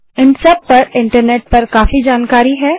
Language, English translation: Hindi, There is a lot of information on these topics in Internet